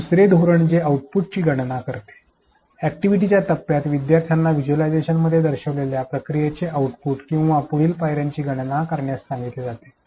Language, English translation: Marathi, Strategy 2 which is calculate output where during the activity phase the students are asked to calculate the output or next step of the process which is shown to them in the visualization